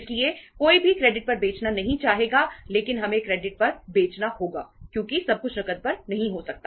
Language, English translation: Hindi, So nobody would like to sell on credit but we have to sell on credit because everything cannot be on cash